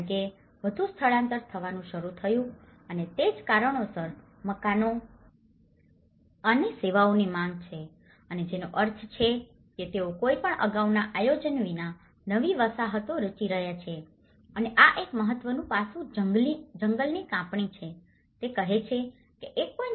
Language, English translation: Gujarati, Because the more migration has started coming up and that is where the demand of housing and services and which means they are forming new settlements without any previous planning and this is one of the important aspect is deforestation, it says 1